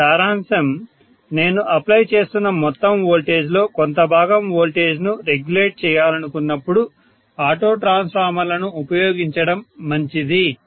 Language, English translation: Telugu, So to summarise auto transformers are good, especially when I want to regulate the voltages by a small fraction of the total voltage that I am applying